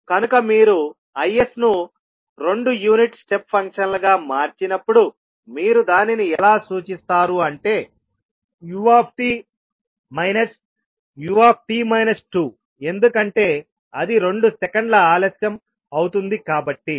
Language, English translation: Telugu, So when you convert Is into two unit step functions you will represent it like u t minus u t minus two because it is delayed by two seconds